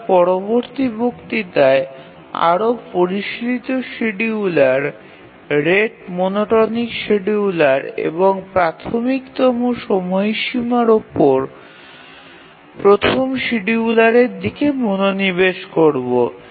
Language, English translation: Bengali, We will look at more sophisticated schedulers, the rate monotonic scheduler and the earliest deadline first scheduler